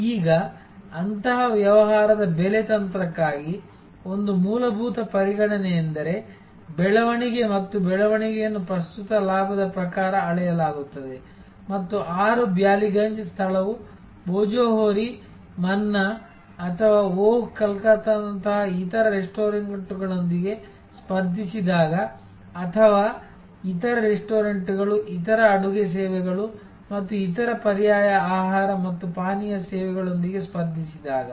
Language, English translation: Kannada, Now, for pricing strategy of such a business, one fundamental consideration will be growth and growth which will be measured in terms of current profit and growth in terms of market share, when 6 Ballygunge place competes with similar other restaurants like Bhojohori Manna or like Oh Calcutta or they compete with alternative food and beverage services like other restaurants, other catering services and so on